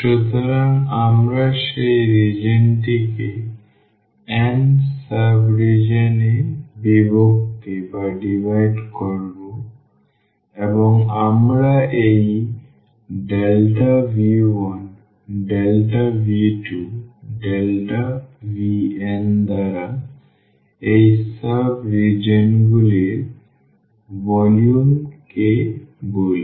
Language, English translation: Bengali, So, we will divide that region into n sub regions and we call the volume of these sub regions by this delta V 1 delta V 2 delta V n